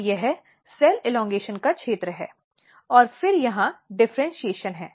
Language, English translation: Hindi, And this is the region of cell elongation and then here is the differentiation